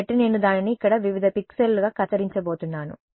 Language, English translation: Telugu, So, I am going to chop it up into various such pixels over here